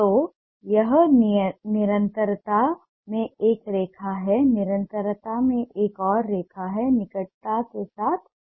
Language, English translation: Hindi, so this is a line in continuity, another line in continuity liner with changing proximity